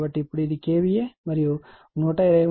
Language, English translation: Telugu, So, now this is your , KVA and right 123